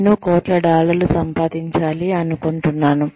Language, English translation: Telugu, I would like to make crores of dollars